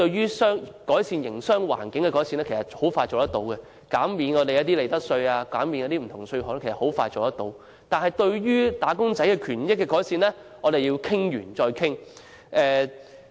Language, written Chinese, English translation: Cantonese, 關於改善營商環境的措施，如減免利得稅或其他稅項等很快便落實，但關於改善"打工仔"權益的措施卻要再三討論。, Measures of improving the business environment such as profits tax or other tax concessions were promptly implemented but measures of improving wage earners rights and interests had to be discussed repeatedly . Let me cite a simple example